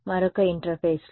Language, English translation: Telugu, On another interface